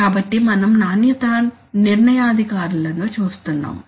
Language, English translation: Telugu, So we are looking at the quality determinants